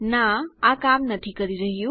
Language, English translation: Gujarati, No, its not working